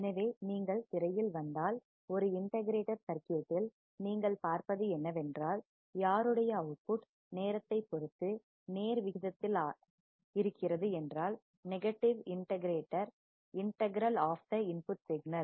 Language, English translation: Tamil, So, if you come to the screen what you see is an integrator circuit whose output is proportional to the negative integral of the input signal with respect to time